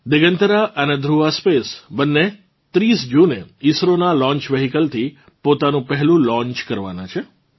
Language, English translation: Gujarati, Both Digantara and Dhruva Space are going to make their first launch from ISRO's launch vehicle on the 30th of June